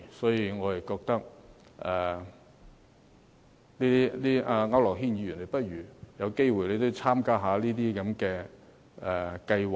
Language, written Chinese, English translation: Cantonese, 所以，我覺得區諾軒議員，如果有機會的話，你也應該參加一下這些計劃。, Hence I think Mr AU Nok - hin should also participate in these funding schemes if he has such an opportunity